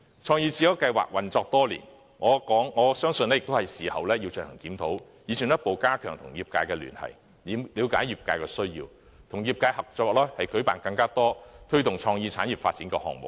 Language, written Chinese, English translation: Cantonese, "創意智優計劃"運作多年，我相信也是時候進行檢討，以進一步加強與業界的聯繫，了解業界需要，與業界合作舉辦更多推動創意產業發展的項目。, It is high time we put the CreateSmart Initiative under review after it has been running for years so as to further fortify its ties with the industries enhance its understanding of their needs and join hands with them on projects which drive the development of creative industries